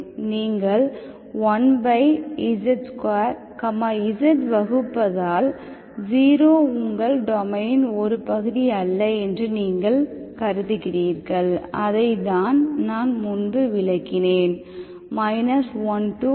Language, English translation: Tamil, Because you are dividing with 1 by z square, z is, you are not supposed, you are assuming that 0 is not part of your domain, that is what I explained earlier, minus1 to1